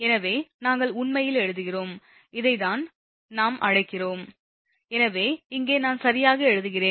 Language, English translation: Tamil, And hence we are writing actually, this one where what we call, just hold on, here I am writing right